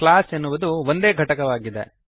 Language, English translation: Kannada, Class is a single unit